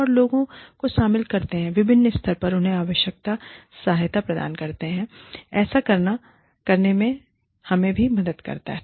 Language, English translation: Hindi, And, getting people involved in it, at different levels, providing them with the necessary support, helps us, do that